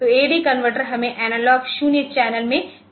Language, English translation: Hindi, So, AD converter we has got analog 0 channel